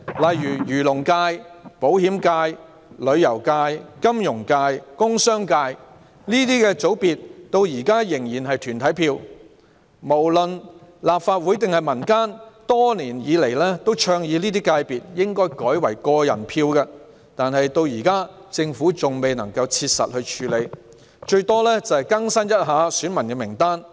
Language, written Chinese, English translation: Cantonese, 例如，漁農界、保險界、旅遊界、金融界、工商界等界別至今仍然是團體票，立法會及市民年來倡議這些界別應改為個人票，但政府至今未能切實處理，最多只是更新選民名單。, For example the Agriculture and Fisheries FC Insurance FC Tourism FC Finance FC and Commercial FC still have corporate electors . The Legislative Council and the public have proposed for years that these FCs should have individual electors instead of corporate electors . However the Government has still failed to practically tackle the matter and it has only updated the electorate at the most